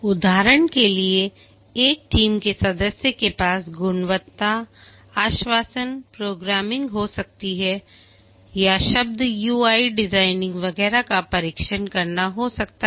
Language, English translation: Hindi, For example, a team member may have quality assurance in programming or maybe testing, e I designing, etc